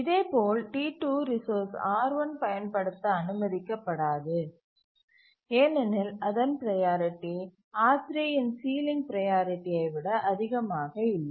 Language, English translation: Tamil, And similarly T2 will not be allowed to use a resource R1 because its priority is not greater than the ceiling priority of R3